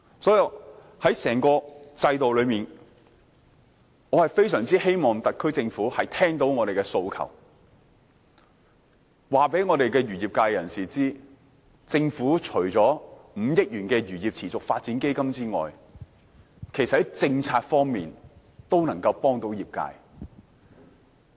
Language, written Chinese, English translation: Cantonese, 所以，在整個制度中，我非常希望特區政府聆聽我們的訴求，告訴漁業界人士，政府除了5億元的漁業持續發展基金外，其實在政策方面都能夠幫助業界。, Therefore I really hope that the SAR Government can listen to our aspirations and tell the fisheries industry that apart from the 500 million Sustainable Fisheries Development Fund the Government is also able to provide policy support to the industry